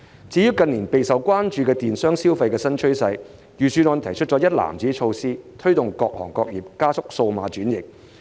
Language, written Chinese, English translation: Cantonese, 至於近年備受關注的電商消費新趨勢，預算案提出一籃子措施，推動各行各業加速數碼轉型。, As for the new trend of electronic commerce and consumption which has attracted considerable attention in recent years the Budget has proposed a package of measures to enable various sectors and industries to accelerate digital transformation